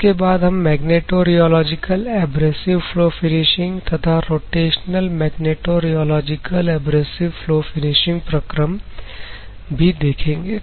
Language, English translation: Hindi, And we move on to magnetorheological abrasive flow finishing process and rotational magnetorheological abrasive flow finishing processes